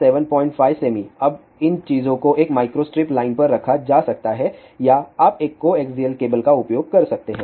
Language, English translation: Hindi, Now, these things can be put on a micro strip line or you can use a coaxial cable